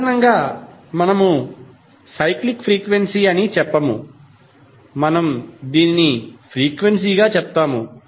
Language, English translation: Telugu, In general terms we do not say like a cyclic frequency, we simply say as a frequency